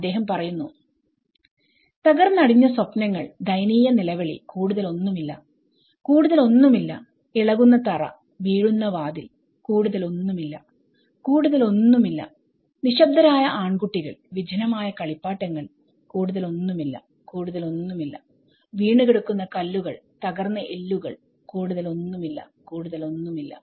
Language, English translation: Malayalam, He talks shattered dreams, woeful screams, nothing more, nothing more, shaken floor, fallen door, nothing more, nothing more, silent boys, deserted toys, nothing more, nothing more, tumbled stones, broken bones, nothing more, nothing more